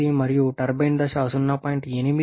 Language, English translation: Telugu, 8 and turbine stage 0